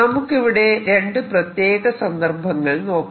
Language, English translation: Malayalam, let's now look at two particular cases